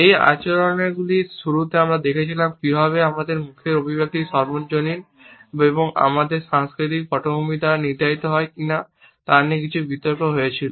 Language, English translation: Bengali, In the beginning of this discussion we had looked at how there had been some debate whether the expression on our face is universal or is it determined by our cultural backgrounds